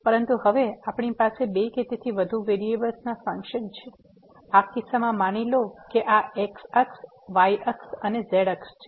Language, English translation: Gujarati, But now, we have functions of two or more variables, in this case suppose here this is axis, axis and axis